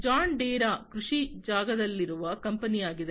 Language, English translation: Kannada, John Deere is a company which is in the agriculture space